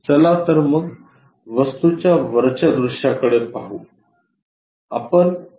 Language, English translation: Marathi, Let us look at top view is this object